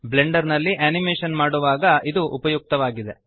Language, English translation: Kannada, It is useful when animating in Blender